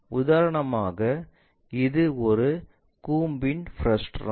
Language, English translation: Tamil, For example, this is a frustum of a cone